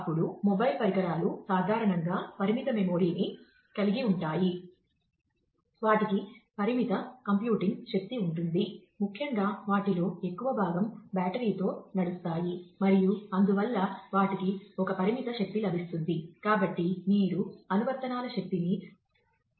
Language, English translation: Telugu, Then, mobile devices typically have limited memory, they have limited computing power, very importantly most of them run on battery and therefore, they have one limited power available